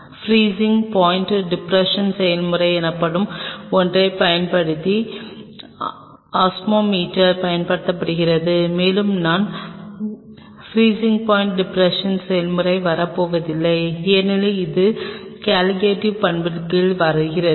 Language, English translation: Tamil, Osmometer is being used using something called freezing point depression process, and I am not going to get into the freezing point depression process because it falls under the studying the Colligative property